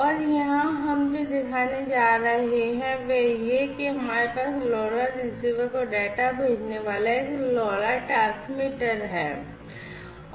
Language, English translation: Hindi, And here what we are going to show is that we have a LoRa transmitter sending the data to the LoRa receiver